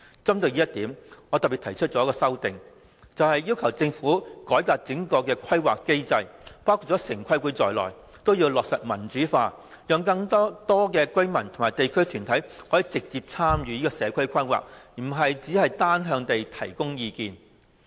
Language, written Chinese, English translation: Cantonese, 針對這一點，我特別提出一項修正案，要求政府改革整個規劃機制，包括城規會，必須落實民主化，讓更多居民及地區團體可以直接參與社區規劃，而不只是單向地提供意見。, In this connection I have specifically proposed an amendment asking the Government to reform the whole planning mechanism including TPB and implement democratization of planning to allow residents and local organizations to have more opportunities to directly participate in community planning instead of providing unidirectional advice